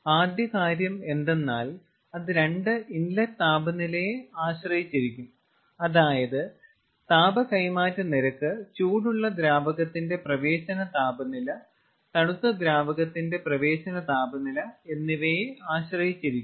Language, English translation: Malayalam, that means rate of heat transfer will be dependent on two inlet temperatures: inlet temperature of the hot fluid and inlet temperature of the cold fluid